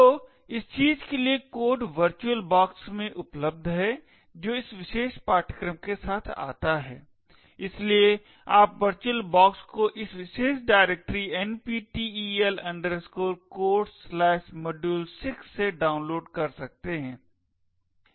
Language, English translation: Hindi, So the codes for this thing is available in the virtual box which comes along with this particular course, so you can download the virtual box look into this particular directory NPTEL Codes/module6